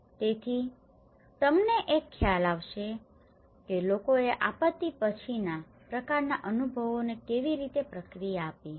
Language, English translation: Gujarati, So, you will get an idea of how people have responded to these kind of post disaster experiences